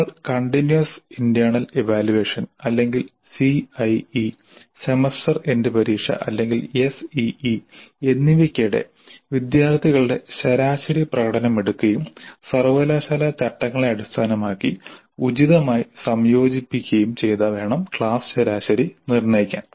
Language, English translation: Malayalam, We have to take the average performance of the students during the internal evaluation or continuous internal evaluation or CIE and during the semester and examination or ACE and combine them appropriately based on the university regulations to determine the class average